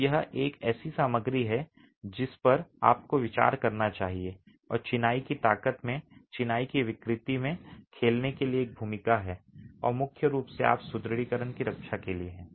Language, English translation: Hindi, So, this is a material that you must consider and has a role to play in the strength of the masonry, in the deformability of the masonry and is primarily there to protect your reinforcement